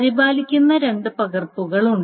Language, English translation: Malayalam, So these are the two copies that are maintained